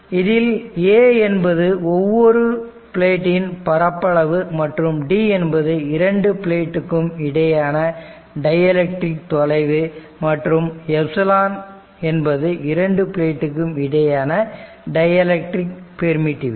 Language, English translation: Tamil, Where A is the surface area of each plate, d is the dielectric distance between two your distance between two plates right and an epsilon the permittivity of the dielectric material between the plates right